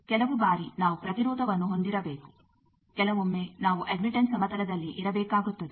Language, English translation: Kannada, Sometimes we need to have impedance; sometimes we need have to stay in the admittance plane